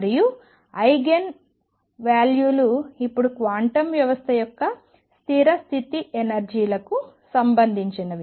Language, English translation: Telugu, And eigenvalues are now related to the stationary state energies of a quantum system